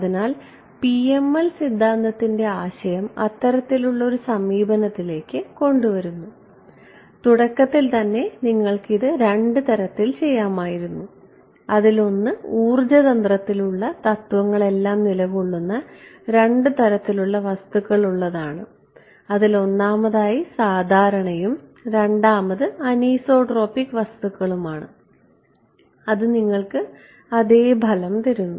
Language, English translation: Malayalam, So, that sort of brings to a close the idea of PML theory as I said in the very beginning you could have done this in 2 ways one is to stay within the realm of physics have two different materials one normal material one anisotropic absorb it gives you the same results